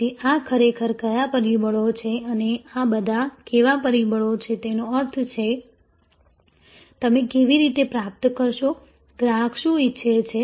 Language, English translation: Gujarati, So, these are actually are what factors and these are all how factors; that means, how you will achieve, what the customer wants